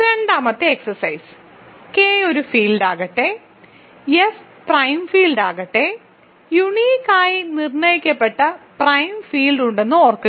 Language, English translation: Malayalam, So, second exercise; let K be a field and let F be it is prime field, remember there is a uniquely determined prime field